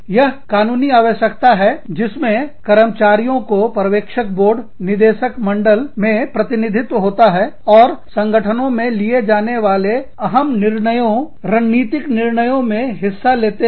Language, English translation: Hindi, It is a legal requirement in which, employees are represented on supervisory boards, or boards of directors, and participate in major decisions, strategic decisions, taken by the organization